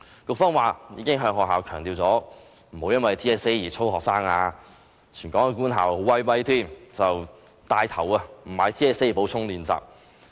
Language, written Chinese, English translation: Cantonese, 局方表示，已經向學校強調不要因為 TSA 而操練學生，而全港官校更厲害，牽頭不購買 TSA 的補充練習。, The Education Bureau claimed that it has strongly advised schools that they should not drill students for TSA and all government schools in Hong Kong have even taken one step further they have taken the lead to refuse buying TSA supplementary exercise books